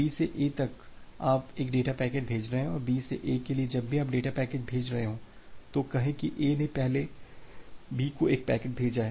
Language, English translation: Hindi, From B to A you are sending one data packet; for B to A whenever you are sending a data packet say A has earlier send a packet to B